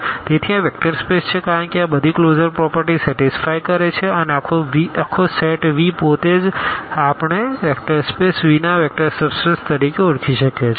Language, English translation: Gujarati, So, this is a vector space because all these closure properties are satisfied and the whole set V itself we can call as a vector subspace of the vector space V